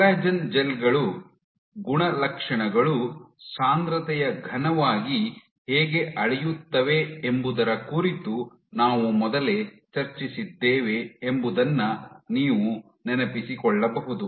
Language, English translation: Kannada, So, you remember earlier we had discussed how properties of collagen gels scale as concentration cubed